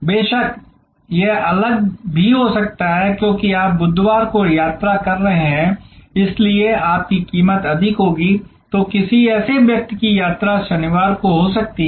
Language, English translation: Hindi, Of course, it can also be different, because you are travelling on Wednesday and therefore, your price will be higher, then somebody whose travelling may be on Saturday